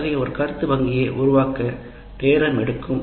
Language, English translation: Tamil, We agree that creating such a item bank is, takes time